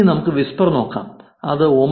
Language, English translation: Malayalam, Now let us look at whisper, it is 9